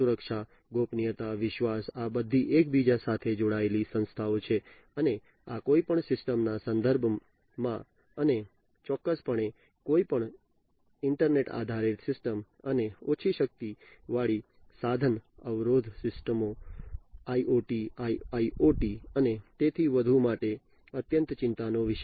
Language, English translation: Gujarati, So, security, privacy, trust these are all interlinked entities and these are of utmost concern in the context in the context of any system, and definitely for any internet based system and much more for IoT and low powered resource constraint systems IoT, IIoT, and so on